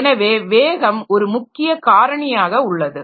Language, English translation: Tamil, So, there the speed is a factor